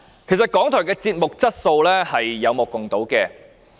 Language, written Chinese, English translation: Cantonese, 事實上，港台電視節目的質素是有目共睹的。, In fact the quality of the television programmes of RTHK is obvious to all